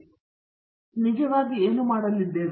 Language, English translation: Kannada, So, what do we actually do